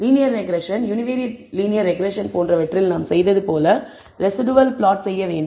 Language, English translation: Tamil, We have to do the residual plot as we did in linear regression, univariate linear regression, and that is what we are going to do further